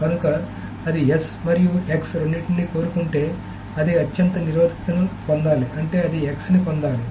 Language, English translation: Telugu, So if it wants to both, if it wants both S and X, it should get the most restrictive, which means it should get X